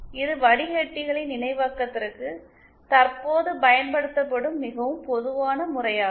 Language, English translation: Tamil, This is the most common method that is used for synthesis of filters now a days